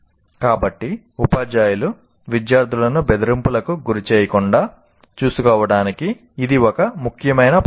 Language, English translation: Telugu, So this is one important lesson to the teachers to make sure that in no way the students feel threatened